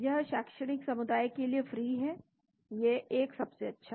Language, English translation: Hindi, It is free for academia one of the best